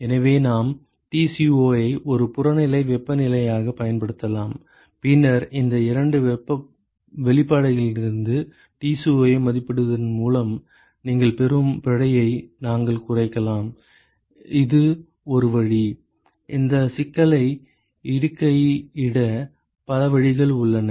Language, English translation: Tamil, So, we could use Tco as an objective temperature and then we can minimize the error that you would get by estimating Tco from these two expressions that is one way there are many ways to do this many ways to post this problem